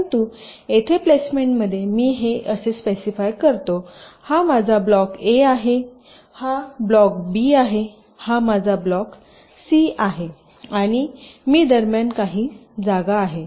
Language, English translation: Marathi, but in placement, here i will specify like: this is my block a, this is my block b, this is my block c and there is some space in between